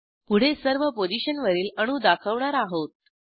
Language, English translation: Marathi, Next I will display atoms on all positions